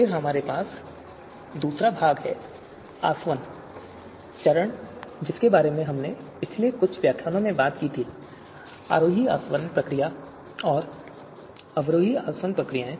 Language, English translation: Hindi, Then we have the second part, the distillation phase that we talked about in previous few lectures that ascending distillation procedure and descending distillation procedures